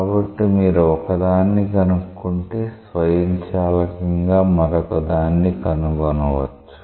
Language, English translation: Telugu, So, if you find out one, you can automatically find out the other